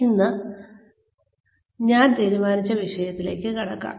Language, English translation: Malayalam, Now, let us move on to the topic, that I had decided for today